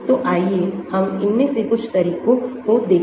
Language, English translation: Hindi, So, let us look at some of these methods